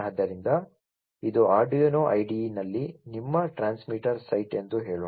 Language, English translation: Kannada, So, let us say that this is your transmitter site in the Arduino, you know, IDE